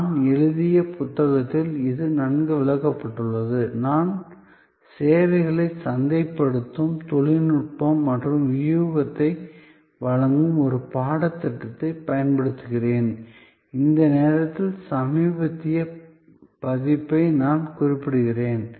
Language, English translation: Tamil, It is also well explained in the book that I have go authored and I am using in this a course which is a services marketing people technology and strategy I am referring at this moment to the latest edition